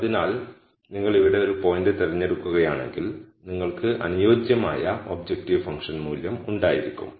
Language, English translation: Malayalam, So, if you pick a point here then you would have a corresponding objective function value